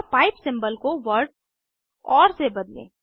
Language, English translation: Hindi, And replace pipe symbol with the word or